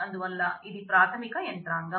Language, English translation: Telugu, So, this is the basic mechanism ok